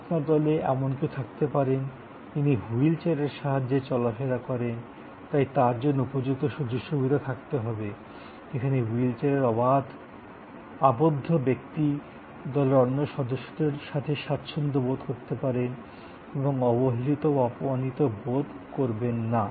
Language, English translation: Bengali, There could be somebody in your group is on a wheel chair, so you have to have a facilities, where a wheel chair person can be comfortable with the other members of the group and not feel neglected or slighted